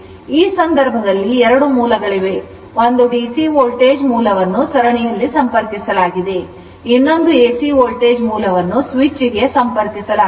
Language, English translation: Kannada, Now, in this case 2 sources are there; one your DC voltage source is connected in series, another is AC source AC voltage source is connected one switch is there you close the switch right